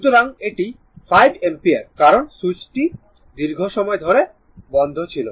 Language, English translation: Bengali, So, it is 5 ampere because the switch was closed for a long time